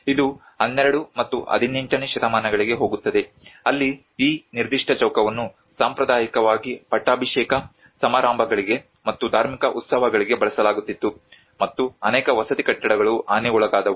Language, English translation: Kannada, It goes back to the 12th and 18th centuries where this particular square was traditionally used for the coronation ceremonies and the religious festivals and many of the residential buildings got damaged